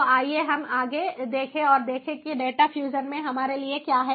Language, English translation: Hindi, so let us look ahead and see what we have for us in data fusion